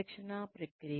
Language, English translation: Telugu, The training process